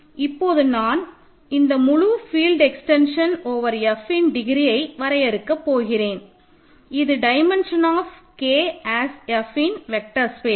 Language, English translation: Tamil, Now, I am defining the degree of the entire field extension over F is simply the dimension of K as an F vector space ok